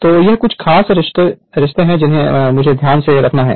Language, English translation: Hindi, So, these are the certain relationship you have to keep it in your mind